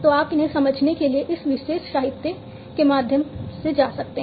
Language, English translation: Hindi, So, you can go through this particular literature in order to understand these